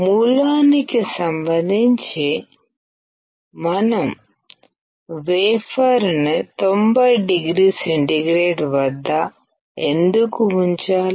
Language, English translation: Telugu, Why do we have to keep the wafer at 90o with respect to source